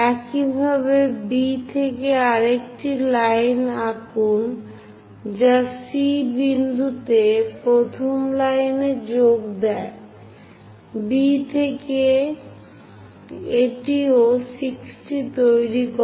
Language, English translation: Bengali, Similarly from B draw another line which joins the first line at C point, and from B this also makes 60 degrees